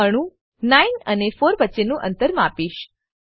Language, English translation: Gujarati, I will measure the distance between atoms 9 and 4